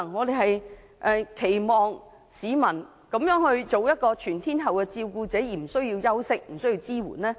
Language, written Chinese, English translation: Cantonese, 照顧者作出全天候的照顧，怎會不需要休息和支援呢？, How would carers who provide care around the clock not need any rest and support?